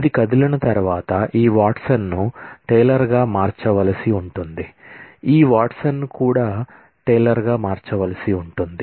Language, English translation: Telugu, This will mean that once this is moved, then this Watson will have to be changed to Taylor, also this Watson will also have to be changed to Taylor